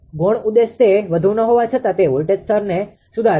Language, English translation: Gujarati, The secondary objective is do not much it improves the voltage level right